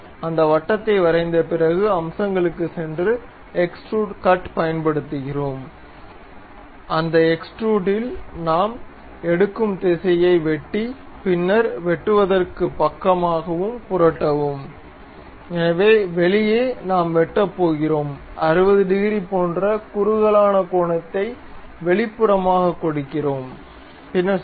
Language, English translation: Tamil, After drawing that circle we go to features use extrude cut, in that extrude cut the direction we pick through all, then flip side to cut, so outside we are going to cut and we give a tapered angle like 60 degrees outwards, then click ok